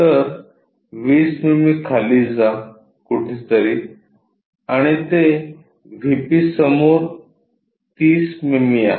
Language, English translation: Marathi, So, 20 mm go down, somewhere there and it is 30 mm in front of VP